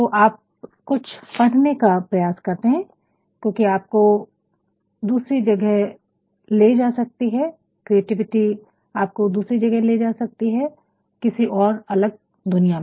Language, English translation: Hindi, You actually try to read something that can transport you somehow orthe other in a different world